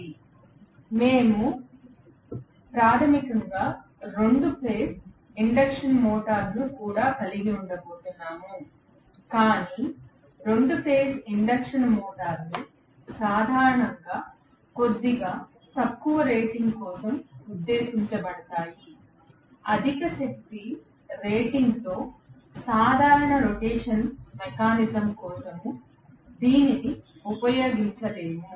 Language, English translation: Telugu, So, we are going to have basically 2 phase induction motor as well, but 2 phase induction motors are generally meant for a little lower rating, hardly ever we use it for a regular rotational mechanism with high power rating